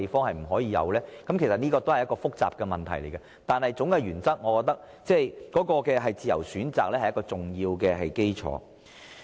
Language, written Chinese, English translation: Cantonese, 這是一個很複雜的問題，但我認為總體原則仍是以自由選擇作為一個重要基礎。, This is a very complicated issue but I think having a free choice is still an important basis under the general principle